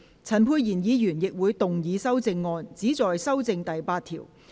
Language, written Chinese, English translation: Cantonese, 陳沛然議員亦會動議修正案，旨在修正第8條。, Dr Pierre CHAN will also move an amendment which seeks to amend clause 8